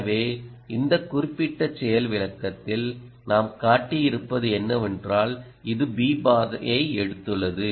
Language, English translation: Tamil, in this particular demonstration, what we have shown is that it has taken route b